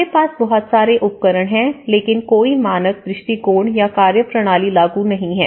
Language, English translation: Hindi, We have so many tools but there is no standard approach or a methodology applied